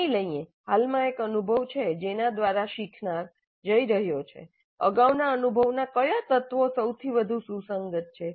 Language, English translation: Gujarati, Given that presently there is an experience through which the learner is going, which elements of the previous experience are most relevant